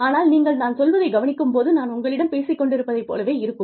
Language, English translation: Tamil, And but, when you listen to me, it is like, I am talking to you